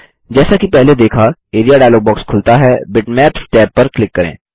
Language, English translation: Hindi, As seen earlier the Area dialog box opens, click on the Bitmaps tab